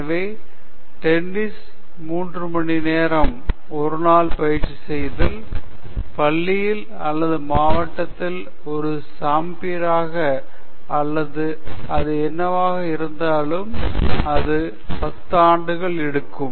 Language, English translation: Tamil, So, if you practice tennis for three hours a day, it will take about ten years for you to become a champion in school or district or whatever it may be